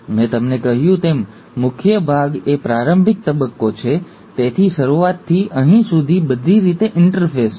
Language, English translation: Gujarati, So, the major part as I told you is the preparatory phase, so all the way from the beginning till here is the interphase